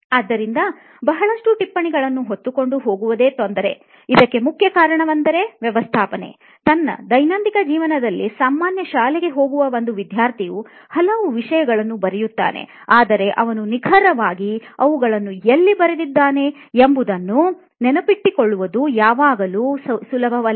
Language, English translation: Kannada, So it itself becomes a hassle when you are carrying a lot of notes, the reason being one thing is managing, there are so many topics in a daily life we are in a typical school a student is faced with so many topics in the class but it is not always easy to remember where he has exactly written the notes